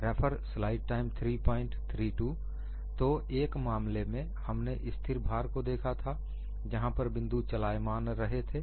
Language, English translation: Hindi, So, in one case we had looked at constant load, where the points were moving